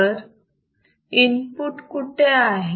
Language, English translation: Marathi, So, where is the input